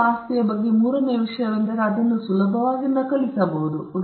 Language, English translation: Kannada, The third thing about an intellectual property right is the fact that you can easily replicate it